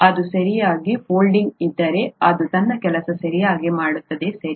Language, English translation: Kannada, If it folds correctly, then it will do its job properly, right